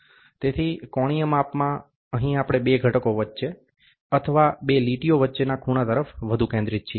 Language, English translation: Gujarati, So, in angular measurement, here we are more focused towards the angle between two features or between two lines